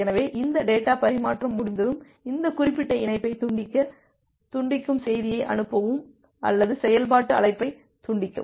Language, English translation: Tamil, So, once this data transfer is complete, then you send the disconnect message or disconnect function call to disconnect this particular connection